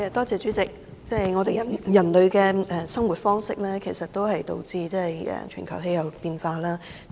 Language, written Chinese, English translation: Cantonese, 主席，人類的生活方式是導致全球氣候變化的原因。, President the lifestyle of mankind is the cause of global climate change